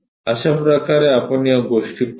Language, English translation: Marathi, This is the way we will see these things